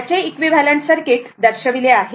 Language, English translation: Marathi, So, equivalent circuit is shown